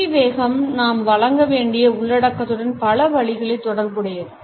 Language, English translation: Tamil, The speed of this pitch is also related in many ways with the content we have to deliver